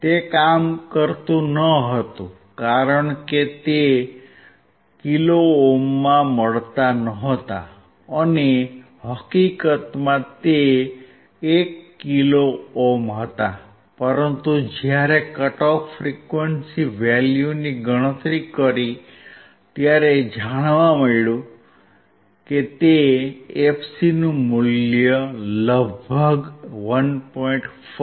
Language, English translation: Gujarati, It was not working because the resistors value were not get that in kilo ohm and in fact, they were 1 kilo ohms, but when we converted back to when we when we calculated our cut off frequency value then we found that the fc value is about 1